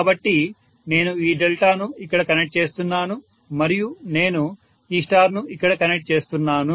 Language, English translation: Telugu, So I am connecting this delta here and I am connecting this star here